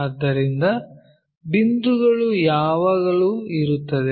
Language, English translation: Kannada, So, point always be there